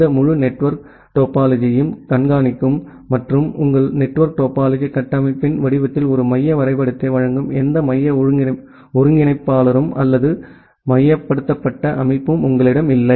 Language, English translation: Tamil, And you do not have any central coordinator or centralized system which will monitor this entire network topology and give you a central graph in the in the form of your network topology structure